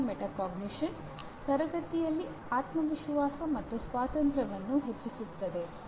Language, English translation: Kannada, Instruction metacognition fosters confidence and independence in the classroom